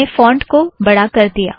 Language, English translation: Hindi, I made the font slightly bigger